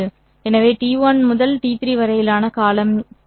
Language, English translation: Tamil, So in this case, what would be s 1 of t